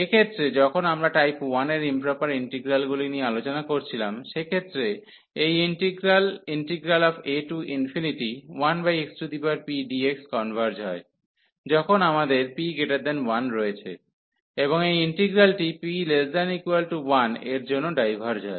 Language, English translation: Bengali, In this case, when we were discussing the integral of improper integrals of type 1; in that case this integral 1 over x power p converges when we have p greater than 1, and this integral diverges for p less than equal to 1